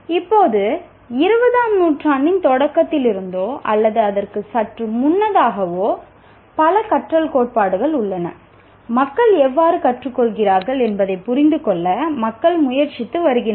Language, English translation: Tamil, Now there are several learning theories once again right from the beginning of the 20th century or even a little prior to that people have been trying to understand how do people learn